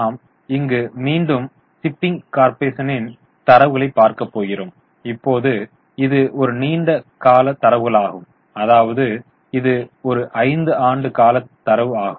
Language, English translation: Tamil, So, here again we have got the data for shipping corporation but now it's a long term data, it's a five year data